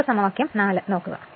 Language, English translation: Malayalam, Now, equation 4